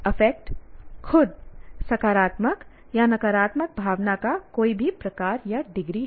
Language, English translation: Hindi, And affect itself is any type or degree of positive or negative feeling